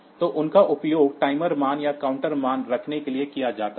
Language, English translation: Hindi, So, these are used for holding the time timer values or the counter values